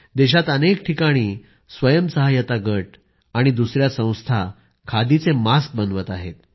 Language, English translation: Marathi, Self help groups and other such institutions are making khadi masks in many places of the country